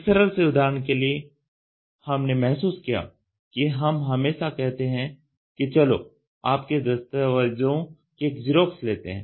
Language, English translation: Hindi, For a simple example what we realize is we always say let us take a xerox copy of your document